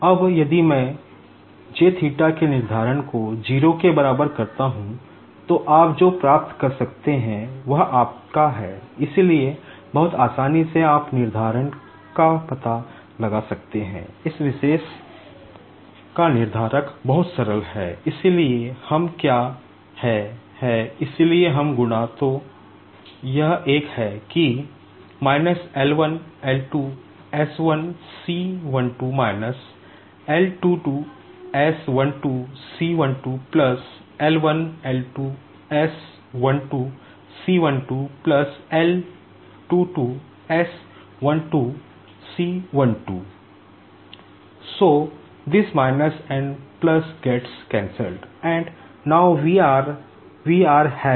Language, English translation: Hindi, Now, if I put the determinant of J (θ ) equals to 0, then what you can get is your, so very easily you can find out the determinant, determinant of this particular is very simple, so what we do is, so we multiply, so this one, that is, L1 L2 s1c12 − L22 s12 c12 + L1 L2 s12 c12 + L22 s12 c12